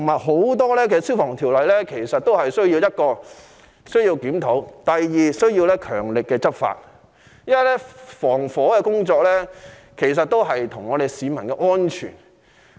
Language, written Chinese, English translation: Cantonese, 很多消防條例的確需要檢討，亦需要強力執法，因為防火工作關乎市民的安全。, Many fire prevention laws have to be reviewed and enforced rigorously for fire prevention work is about public safety